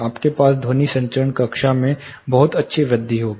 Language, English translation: Hindi, You will have a very good increase in sound transmission class